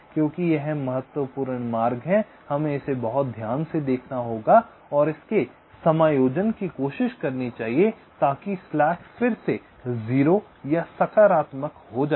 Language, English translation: Hindi, because it is the critical paths, we have to look at it very carefully and try to adjust its so that the slack again becomes zero or positive